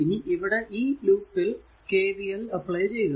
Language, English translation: Malayalam, So now, you have to first apply the KVL